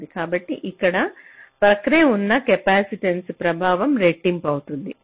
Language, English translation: Telugu, so here the effect of the adjacent capacitance will get doubled